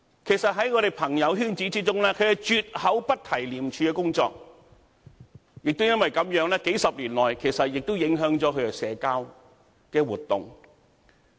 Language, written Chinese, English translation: Cantonese, 其實，在我們的朋友圈子中，他們絕口不提廉署的工作，亦因為這樣，數十年來亦影響了他們的社交活動。, They have never mentioned their work in ICAC in our circle of friends . For that reason it has affected their social activities over the past decades